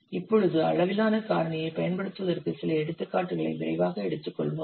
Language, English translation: Tamil, Then now let's quickly take some examples for using upscale factor